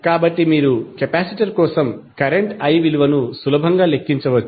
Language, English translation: Telugu, So, you can easily calculate the value of current I for capacitor